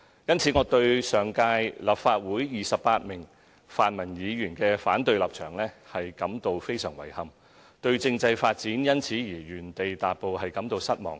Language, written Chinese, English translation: Cantonese, 因此，我對上屆立法會28名泛民議員的反對立場，感到非常遺憾，對政制發展因此而原地踏步，感到失望。, Hence I express my deep regret for the stance of the 28 pan - democratic Members against the proposal in the last - term Legislative Council . I am disappointed that the development of constitutional reform has come to a standstill because of this